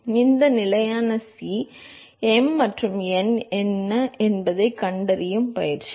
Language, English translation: Tamil, So now, the exercise will just to find out what these constant C, m and n are